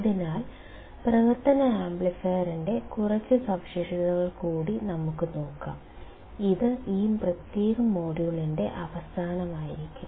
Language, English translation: Malayalam, So, here let us see few more characteristics of operational amplifier and that will be the end of this particular module